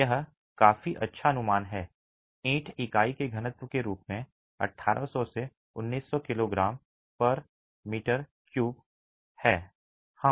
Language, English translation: Hindi, Let's assume the density of brick, density of brick to be about 1,800 kG per meter cube